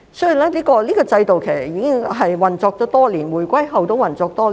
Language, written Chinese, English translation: Cantonese, 這個制度已運作多年，在回歸後亦然。, The scheme has been in place for years even after the reunification